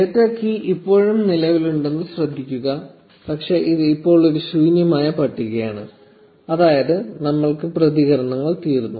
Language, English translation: Malayalam, Notice that the data key is still present, but it is an empty list now, meaning we have run out of responses